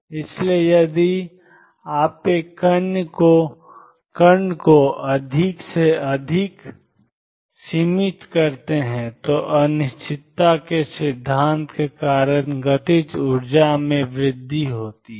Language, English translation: Hindi, So, if you confine a particle more and more it is kinetic energy tends to increase because of the uncertainty principle